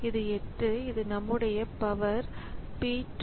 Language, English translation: Tamil, So, this is our P 2